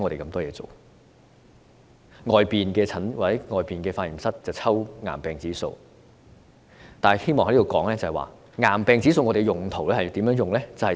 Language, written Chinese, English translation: Cantonese, 外間的化驗室抽驗癌病指數，但我希望在此指出，癌病指數有甚麼用途。, External laboratories conduct tests for cancer indices but I wish to point out here what a cancer index is for